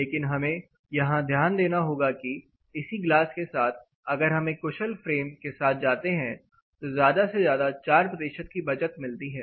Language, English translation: Hindi, But what we need to note even with this glass, if you go for an efficient frame, you can go as highest as 4 percent as saving